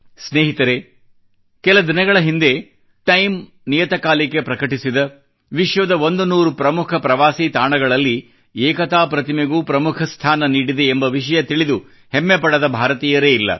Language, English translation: Kannada, Friends, which Indian will not be imbued with pride for the fact that recently, Time magazine has included the 'Statue of Unity'in its list of 100 important tourist destinations around the world